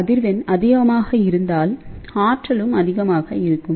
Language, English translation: Tamil, So, higher the frequency, it will have a higher energy